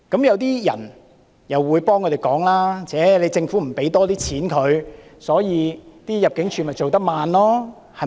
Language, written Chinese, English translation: Cantonese, 有些人會幫他們說話，指政府不撥出更多金錢，入境處才會工作緩慢。, Some people may defend them saying that the Governments failure to allocate more money to ImmD is the reason for its slow progress of work